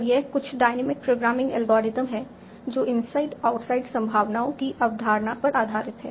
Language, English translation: Hindi, And this is some dynamic programming algorithm based on the concept of inside outside probabilities